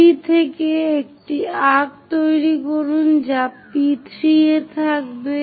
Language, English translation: Bengali, From 3 make an arc which will be at P3